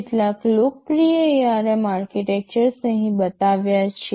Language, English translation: Gujarati, So, some of the popular ARM architectures are shown here